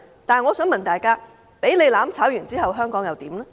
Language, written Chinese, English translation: Cantonese, 但是，我想問大家，香港被"攬炒"後，香港會如何？, But may I ask what will happen to Hong Kong after such mutual destruction?